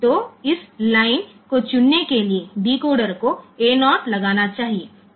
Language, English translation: Hindi, So, for selecting this line; so, decoder should put A 0